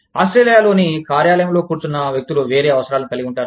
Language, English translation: Telugu, People sitting in the office, in Australia, will have a different set of needs